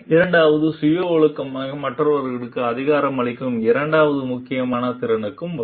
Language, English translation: Tamil, Second will come to the second important competency which is empowers others to self organize